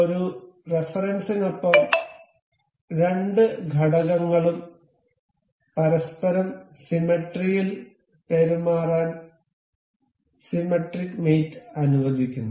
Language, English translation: Malayalam, Symmetric mate allows the two elements to behave symmetrically to each other along a reference